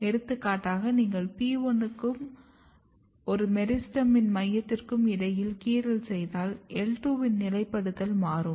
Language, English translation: Tamil, For example, if you make incision between P1 and this center of a meristem what you see that the positioning of I2 is now changed